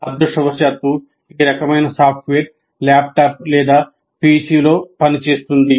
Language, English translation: Telugu, Unfortunately, this kind of software will work on a laptop or a PC